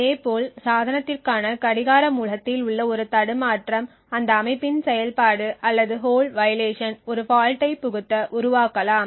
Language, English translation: Tamil, Similarly a glitch in the clock source for the device can create a setup or a hold violation injecting a fault into the operation of that device